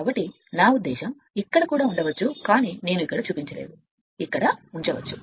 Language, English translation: Telugu, So, I mean here also you can put it, but not shown here I did not show it here right, I did not show it here you can put it right